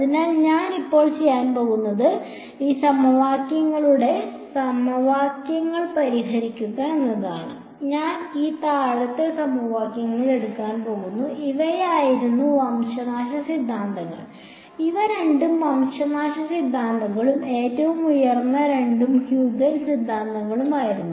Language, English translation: Malayalam, So, what I will do is now to solve these sets of equations, I am going to take these bottom equations these were the extinction theorems; both of these were extenction theorems and both the top ones were the Huygens theorems